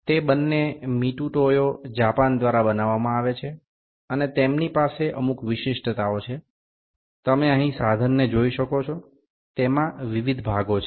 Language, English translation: Gujarati, These are both manufactured by MitutoyoJapan and they have certain specifications, you can see the instrument here, it has various components